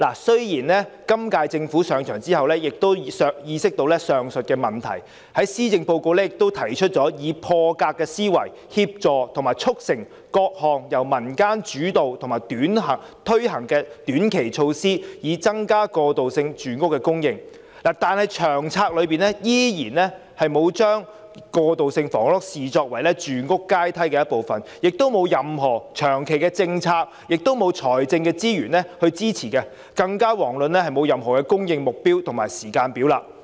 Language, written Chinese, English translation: Cantonese, 雖然今屆政府上場後亦意識到上述問題，在施政報告提出以破格思維，協助及促成各項由民間主導及推行的短期措施，以增加過渡性房屋的供應，但《長策》依然沒有把過渡性房屋視為住屋階梯的一部分，亦沒有任何長期政策及財政資源支持，更遑論有任何供應目標及時間表。, In its Policy Address it suggests that thinking out of the box transitional housing supply be increased by assisting and facilitating various short - term measures initiated and implemented by the community . However transitional housing is still not considered a rung on the housing ladder in LTHS . Transitional housing is not supported by any long - term policy or any financial resources